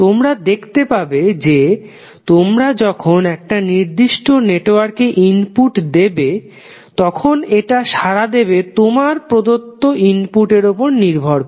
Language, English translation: Bengali, So, you can see that when you give input to a particular network it will respond based on the input which you have provided